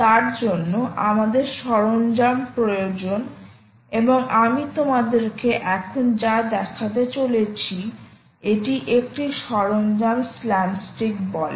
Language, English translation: Bengali, for that we need tools, and what i am going to show you now is a tool called slapstick